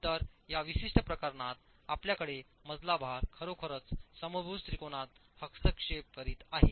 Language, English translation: Marathi, So, in this particular case you have the floor load actually interfering with the equilateral triangle